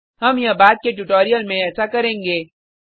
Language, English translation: Hindi, We will do this in the later tutorial